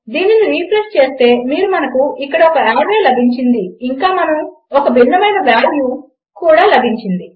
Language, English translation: Telugu, Refresh this and you can see weve got an array here and we have a different value